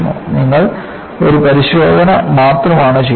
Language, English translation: Malayalam, You do only one test